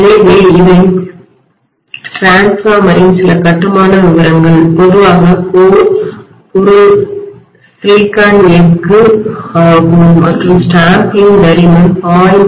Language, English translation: Tamil, So these are some of the constructional details of the transformer, normally the core material will be silicon steel and the stamping thickness will be anywhere between 0